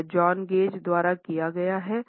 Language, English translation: Hindi, It is by John Gage